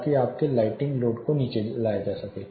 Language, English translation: Hindi, So, that you are lighting loads can be brought down